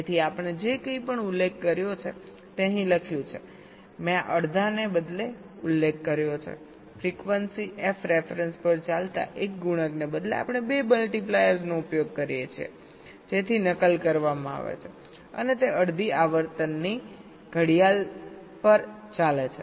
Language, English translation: Gujarati, i have mentioned, instead of this, half, instead of one multiplier running at a frequency f ref, we use two multipliers, so replicated, and they run at half the clock frequency